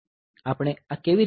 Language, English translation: Gujarati, How do we do this